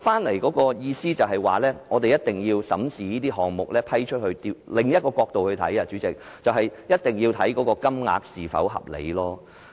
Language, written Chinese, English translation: Cantonese, 我收到的意見是，政府必須審視批出的項目，而從另一個角度來看，就是必須研究撥款金額是否合理。, According to the feedback that I received the Government should carefully examine the projects to be awarded or from another angle it should assess the appropriateness of the amount of funding